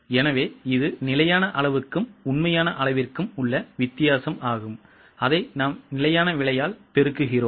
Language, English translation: Tamil, So, it is a difference between standard quantity and actual quantity and we multiply it by standard price